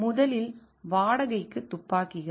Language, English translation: Tamil, First is hired guns